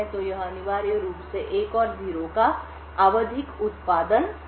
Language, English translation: Hindi, So, it essentially creates a periodic output of 1 and 0